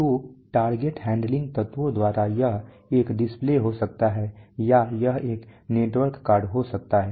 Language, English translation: Hindi, So by target handling element it could be a display or it could be a network card